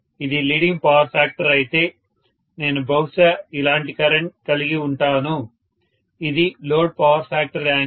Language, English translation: Telugu, If it is leading power factor, I am probably going to have a current like this, this is the load power factor angle